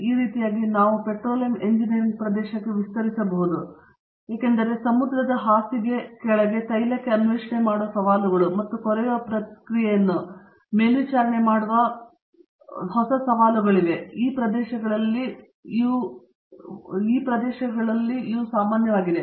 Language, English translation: Kannada, Like this we could extent to the area of petroleum engineering because the challenges of exploring below the ocean bed for oil and having to monitor the process of drilling these involve lot of new challenging areas